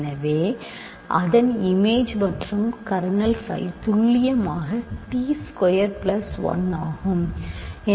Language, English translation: Tamil, So, its in image and kernel phi is precisely t square plus 1